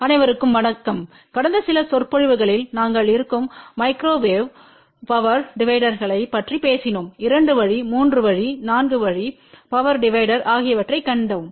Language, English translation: Tamil, hello everyone in the last few lectures we talked about microwave power dividers where we had seen two way, three way, four way power divider